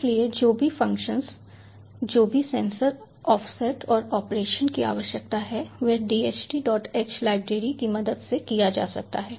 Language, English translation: Hindi, so whatever function, whatever sensor offsets and operations need to be done, is being taken care of, the taken care of the dht dot h library